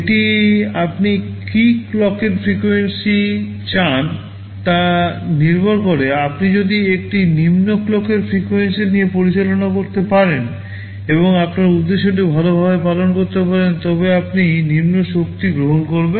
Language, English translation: Bengali, ISo, it depends upon you what clock frequency do you want, if you can operate with a lower clock frequency and serve your purpose it is fine, you will be you will be consuming much lower power